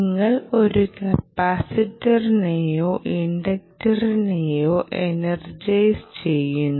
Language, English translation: Malayalam, you energize either a capacitor or an inductor